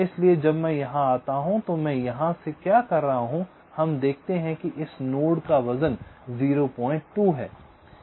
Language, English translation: Hindi, from here, when you come here, we see that the, the weight of this node is point two